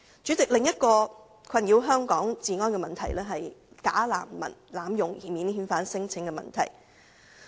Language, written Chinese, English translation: Cantonese, 主席，另一個困擾香港治安的問題，是假難民濫用免遣返聲請。, President another problem upsetting the law and order situation in Hong Kong is the abuse of non - refoulement claims by bogus refugees